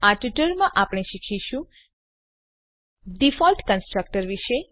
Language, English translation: Gujarati, In this tutorial we will learn About the default constructor